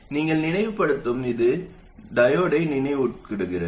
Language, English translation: Tamil, And this, you recall, is reminiscent of the diode